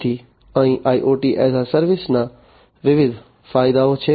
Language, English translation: Gujarati, So, here are different advantages of IoT as a service